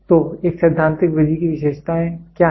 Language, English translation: Hindi, So, what are the features of a theoretical method